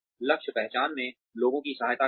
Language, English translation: Hindi, Assisting people in goal identification